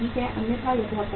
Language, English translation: Hindi, Otherwise it is very very difficult